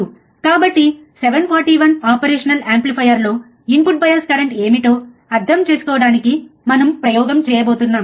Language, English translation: Telugu, So, we are going to we are going to perform the experiment to understand what is the input bias current for the operational amplifier that is 741